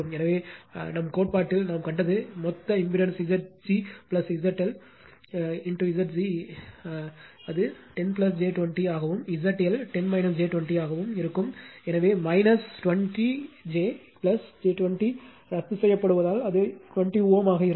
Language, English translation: Tamil, This way we have seen in our theory therefore, total impedance will be Z g plus Z l Z g is 10 plus j 20 and Z L will be 10 minus j 20, so minus j 20 plus j 20 cancels it will be 20 ohm